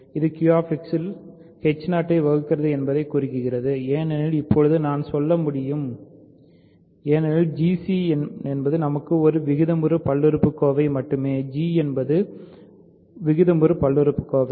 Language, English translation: Tamil, This implies h 0 divides f in Q X only I can say for now because g c is only a rational polynomial for us; g is the rational polynomial